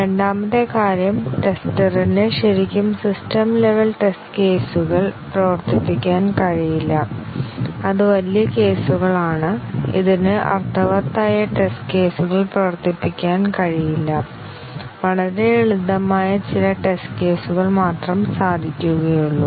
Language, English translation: Malayalam, And the second thing is that the tester cannot really run the system level test cases that is huge cases it cannot really run meaningful test cases, only some very simple test cases